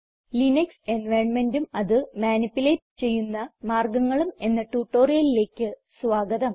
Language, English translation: Malayalam, Welcome to this spoken tutorial on the Linux environment and ways to manupulate it